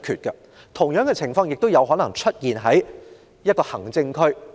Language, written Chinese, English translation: Cantonese, 同樣情況也可能會在行政區出現。, The same incident can happen in an administrative district